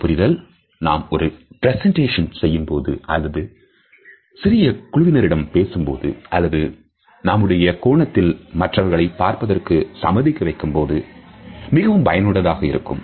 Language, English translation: Tamil, And this understanding is very helpful particularly when we have to make presentations or when we have to talk to people in a small group or we want to persuade somebody to look at things from our perspective